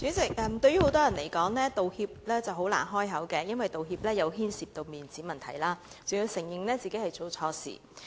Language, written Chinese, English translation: Cantonese, 主席，對於很多人來說，道歉難以開口，因為道歉牽涉面子問題，還要承認自己做錯事。, President making an apology is difficult for many persons as this involves losing face and admitting a mistake